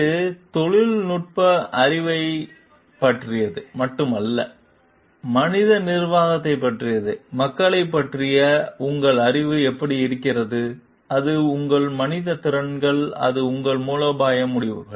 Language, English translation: Tamil, It is not only about the technical knowledge, but it is also about the man management like how to it is your knowledge of the people and it is your a human skills, and it is your strategic decisions